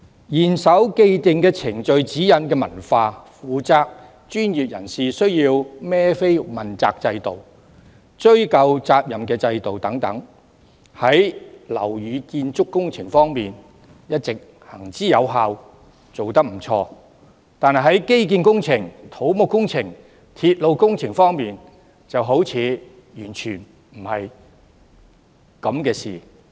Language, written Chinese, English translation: Cantonese, 嚴守既定程序指引的文化、負責的專業人士需要問責的制度，以及追究責任的制度等，在樓宇建築工程方面一直行之有效，做得不錯，但在建基工程、土木工程和鐵路工程方面，卻好像完全無效。, The culture of strict adherence to the established procedural guidelines the system of accountability for the professionals in charge and the system of affixing responsibilities are proven and have worked well in the construction of buildings . However in infrastructural civil engineering and railway projects they seem to be totally ineffective